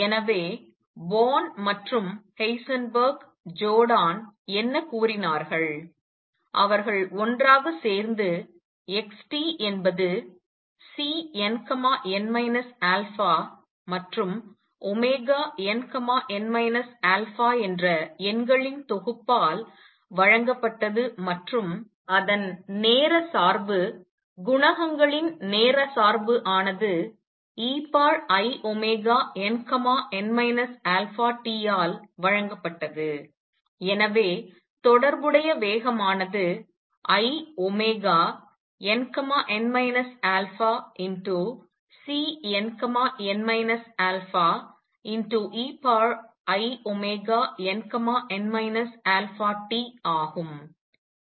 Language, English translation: Tamil, So, what Born and Heisenberg, Jordan; they together did was to consider that x t was given by a collection of numbers C n n minus alpha and omega n, n minus alpha and its time dependence the coefficients time dependence was given by e raised to i omega n, n minus alpha t and therefore, the corresponding velocity became i omega n, n minus alpha C n n minus alpha times e raised to i omega n, n minus alpha t